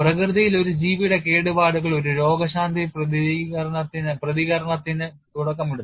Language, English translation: Malayalam, In nature, damage to an organism initiates a healing response